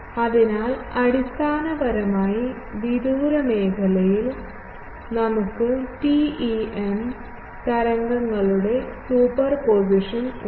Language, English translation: Malayalam, So, basically we have superposition of TEM waves in the, far zone